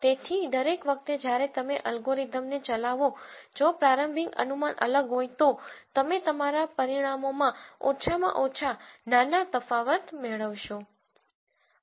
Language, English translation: Gujarati, So, every time you run an algorithm if the initial guesses are different you are likely to get at least minor differences in your results